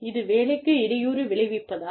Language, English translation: Tamil, Is it related to, is it disrupting the work